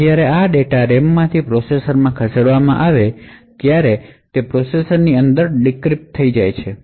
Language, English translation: Gujarati, Now when this data is moved from the RAM to the processor it gets decrypted within the processor